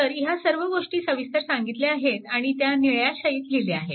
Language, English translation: Marathi, So, all these things have been explained and told by blue ink, right